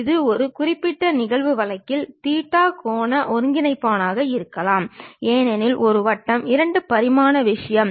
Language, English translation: Tamil, This u can be theta angular coordinate in one particular instance case and because it is a circle 2 dimensional thing